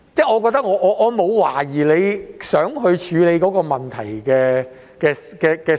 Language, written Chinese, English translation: Cantonese, 我沒有懷疑他想處理這個問題的心。, I have no doubt about his intention to solve the problem